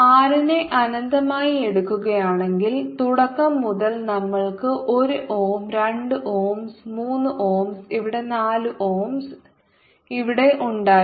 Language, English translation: Malayalam, one could also look at it directly: if we took r to be infinity right from the beginning, we had one on ohm, two ohms here, three ohms here and four ohm here